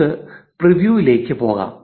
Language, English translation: Malayalam, Let us go to preview